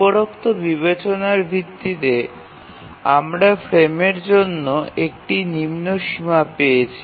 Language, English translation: Bengali, So based on this consideration, we get a lower bound for the frame